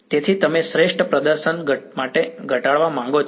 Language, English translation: Gujarati, So, you want to minimize for best performance right